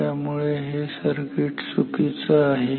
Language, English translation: Marathi, Now, this circuit is wrong